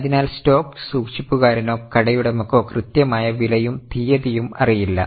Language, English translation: Malayalam, So, the stockkeeper or the shopkeeper does not know exact price and the date